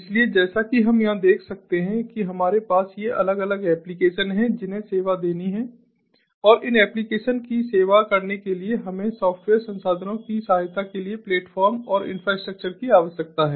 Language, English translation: Hindi, so, as we can see over here, we have these different applications which have to be served, and for service serving these applications, we need to take help of the software resources, the platform and the infrastructure